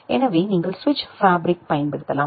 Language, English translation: Tamil, So, you can use the switch fabric